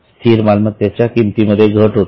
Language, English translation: Marathi, There is a reduction in the value of fixed asset